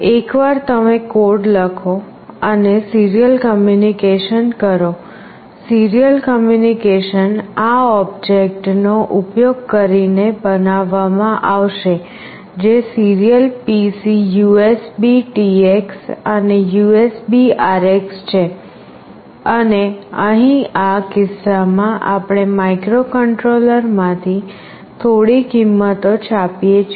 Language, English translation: Gujarati, Once you write a code and make the serial communication, the serial communication will be made using this object that is serial PC USBTX and USBRX and here in this case, we are just printing some value from the microcontroller